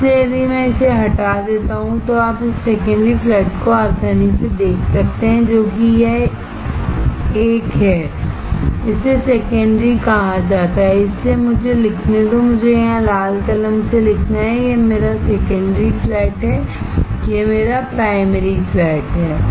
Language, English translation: Hindi, So, if I just delete this, you can easily see this secondary flat, which is this 1, this is called secondary; So, let me write, let me draw with red pen here, this is my secondary flat, this is my primary flat